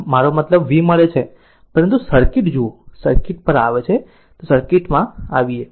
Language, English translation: Gujarati, So, I mean V we have got, but look at the circuit come to the circuit ah come to the circuit